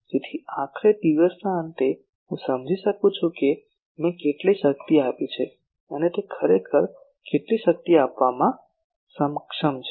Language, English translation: Gujarati, So, ultimately at the end of the day I understand that how much power I have given and how much it was able to actually give